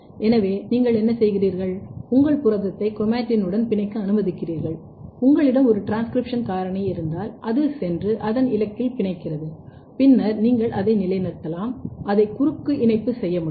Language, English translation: Tamil, So, what you do, you allow your protein to bind to the chromatin if you have a transcription factor it will go and bind to its target then you fix it you may cross link it